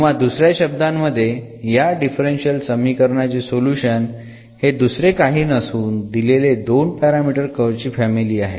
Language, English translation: Marathi, Or in other words the solution of this differential equation is nothing, but this given family of two parameter family of curves